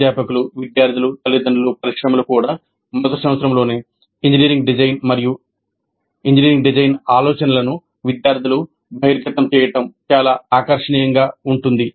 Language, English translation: Telugu, The faculty, students, parents, even the industry find it very, very attractive to have the students exposed to engineering design and engineering design thinking right in the first year